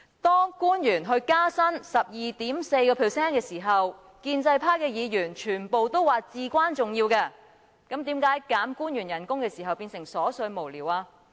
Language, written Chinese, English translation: Cantonese, 當官員獲建議加薪 12.4% 的時候，建制派議員全部都說這是至關重要，但為何我們建議削減官員薪酬便變成瑣碎無聊呢？, When the officials proposed a pay rise of 12.4 % Members of the pro - establishment camp all said that it was of vital importance but why would it become trivial and senseless when we proposed a reduction of salaries of the officials?